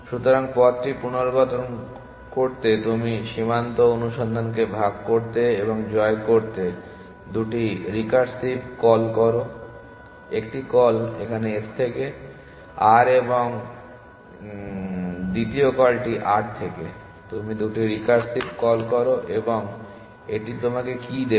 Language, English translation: Bengali, So, to reconstruct the path you make two recursive calls to divide and conquer frontier search 1 call goes from s to r and the 2nd call goes from r to you make 2 recursive calls and what would that give you